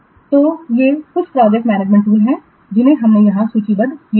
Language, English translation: Hindi, So these are few of the project management tools we have listed here